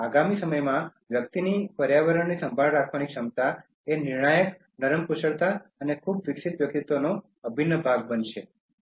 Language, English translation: Gujarati, In the time to come, a person’s ability to care for the environment will become a crucial soft skill and an integral part of a very developed personality